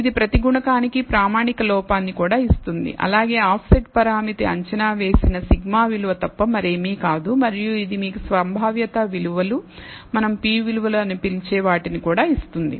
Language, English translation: Telugu, It also gives you the standard error for each coefficient as well as the offset parameter which is nothing but the sigma value for the estimated quantities and it also gives you the probability values p values as we call them